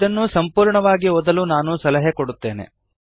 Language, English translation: Kannada, I advise you to read this thoroughly